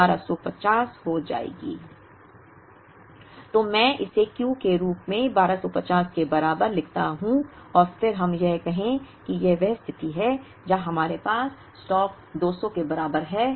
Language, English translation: Hindi, So, let me write this as Q equal to 1250 and then let us say, that this is the position where we have stock equal to 200